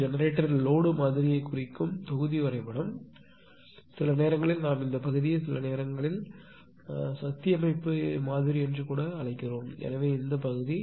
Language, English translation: Tamil, This is the block diagram represent our generator load model; sometimes we call this part we call sometimes power system model also right; so, this part